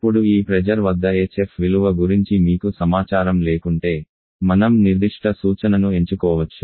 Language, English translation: Telugu, Now if you do not have any information about the value of hf at this pressure then we can choose certain reference